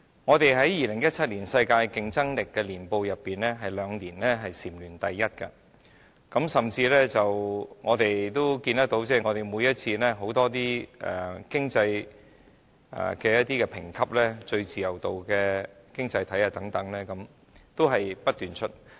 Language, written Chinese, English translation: Cantonese, 我們在《2017年世界競爭力年報》內，有兩年也是禪聯第一，我們甚至看到，在很多經濟評級上，例如最高自由度經濟體等，每次也是不斷上榜的。, We ranked first for two years in a row in the World Competitiveness Yearbook 2017 and we can even see that in terms of many economic ratings for example that of the freest economy each time Hong Kong always makes the list